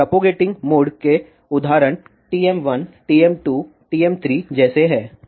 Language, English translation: Hindi, So, example of propagating modes are TM 1, TM 2, TM 3 like this